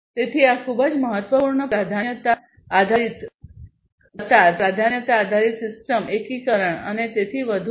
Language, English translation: Gujarati, So, these are you know very important priority based, you know, priority based queuing priority based system you know, integration and so, on